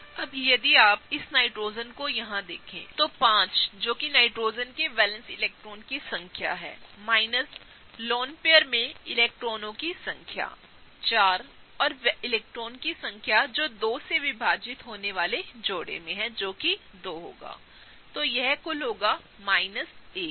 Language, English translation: Hindi, Now, if you look at this other Nitrogen here, five which is the number of valence electrons of the Nitrogen minus, how many electrons are in the lone pair, 4, plus the number of electrons that are in the bonding pairs divided by 2, so that will be 2, so that will be total of minus 1